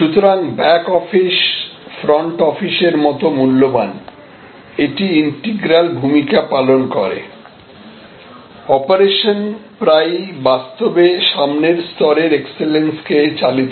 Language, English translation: Bengali, So, back office becomes as valued as the front office, it plays an integral role often operations actually drive the excellence at the front level